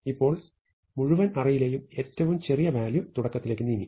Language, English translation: Malayalam, Now, the smallest value in the entire array has moved to the beginning